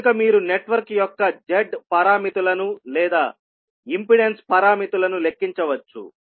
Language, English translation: Telugu, So, this you can calculate the Z parameters or impedance parameters of the network